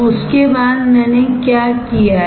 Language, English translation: Hindi, After that what I have done